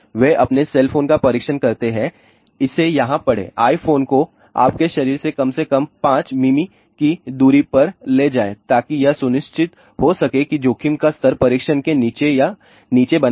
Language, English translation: Hindi, However, how they test the cell phone they test their cell phone, read this here carry i phone at least 5 mm away from your body to ensure exposure levels remain at or below the as tested level